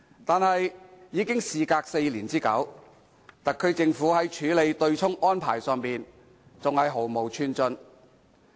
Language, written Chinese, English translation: Cantonese, 但是，事隔4年之久，特區政府在處理對沖安排上依然毫無寸進。, However four years have elapsed but no progress has been made by the SAR Government in respect of the offsetting arrangement